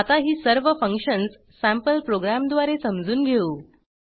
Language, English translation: Marathi, Now let us understand all these functions using a sample program